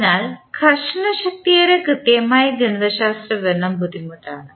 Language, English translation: Malayalam, Therefore, the exact mathematical description of the frictional force is difficult